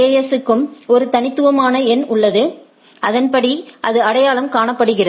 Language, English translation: Tamil, So, every AS has a unique number right so that it is identified